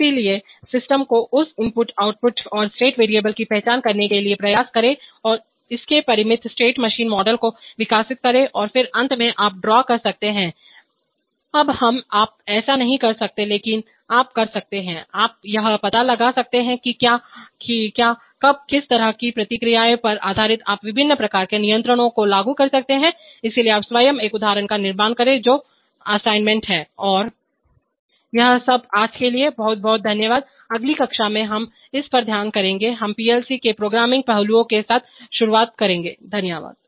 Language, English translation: Hindi, So try to model the system identify its input outputs and state variables, develop its finite state machine model and then finally can you draw, we you can’t do this now but you can, but you can perhaps figure out, that what, when to, how based on the feedback you are going to apply the different kinds of controls, so construct an example of your own that is the assignment and, That is all for today, thank you very much, from the next class we will study on, we'll start with the programming aspects of PLC's thank you